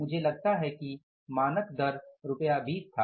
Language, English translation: Hindi, Standard rate was I think rupees 20